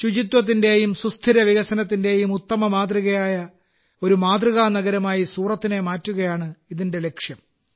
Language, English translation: Malayalam, Its aim is to make Surat a model city which becomes an excellent example of cleanliness and sustainable development